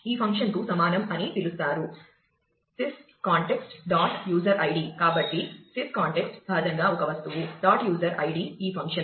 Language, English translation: Telugu, So, sys context is an object naturally, dot user I d this function called